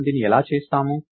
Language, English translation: Telugu, So, this is how we do it